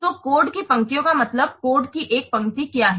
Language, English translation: Hindi, So, the lines of code means what is a line of code